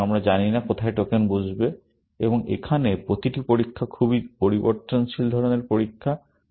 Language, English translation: Bengali, So, we do not know where the tokens will sit, and here, every test is a very variable kind of a test